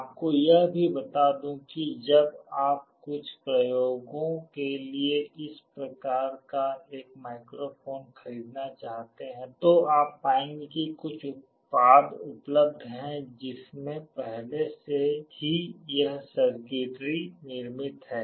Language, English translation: Hindi, Let me also tell you when you want to buy a microphone of this type for some experiments, you will find that there are some products available that already have this circuitry built into it